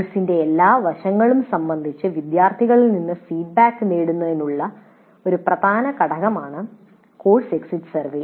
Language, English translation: Malayalam, As already noted, the course exit survey is an extremely important component to obtain feedback from the students regarding all aspects of the course